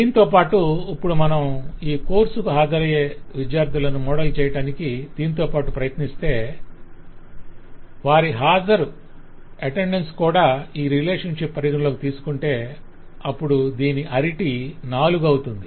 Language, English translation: Telugu, now, along with this, if we try to model the student’s room to attend this course, then i could put an attending presence in the relationship and this will become a relation with arity four